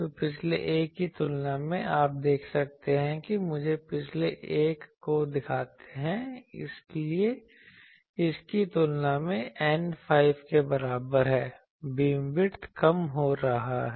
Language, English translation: Hindi, So, compared to the previous one, you can see that we are having the let me show the previous one, compared to that the N is equal to 5, the beam width is reducing